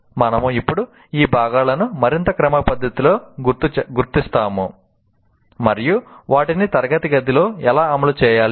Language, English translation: Telugu, We will now more systematically kind of identify those components and how to implement in the classroom